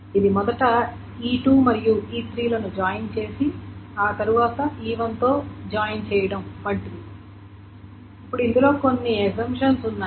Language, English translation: Telugu, This is equivalent to first doing the join of E2 and E3 and then doing the join on E1